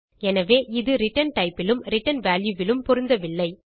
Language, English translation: Tamil, So, there is a mismatch in return type and return value